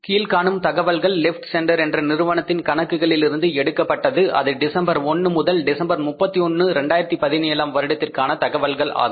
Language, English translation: Tamil, The following information has been obtained from the records of left central corporation for the period from December 1 to December 31 2017